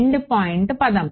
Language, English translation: Telugu, Endpoint term is